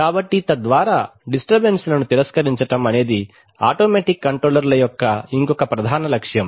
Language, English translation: Telugu, So thereby rejecting disturbances, so that is the other prime objective of automatic controls